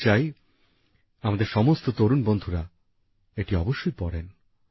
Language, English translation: Bengali, I would want that all our young friends must read this